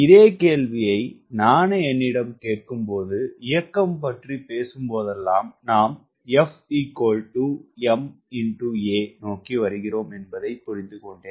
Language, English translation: Tamil, when i ask the same question to myself, i also understand that whenever you talk about motion, we are mapped towards f equal to m, a